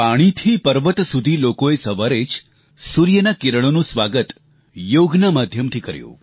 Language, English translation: Gujarati, From the seashores to the mountains, people welcomed the first rays of the sun, with Yoga